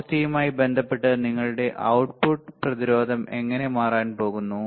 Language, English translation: Malayalam, With respect to frequency, with respect to frequency how your output resistance is going to change